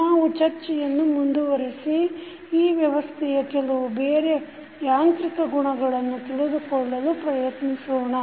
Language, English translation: Kannada, We continue our discussion and we will try to understand some other mechanical properties of this system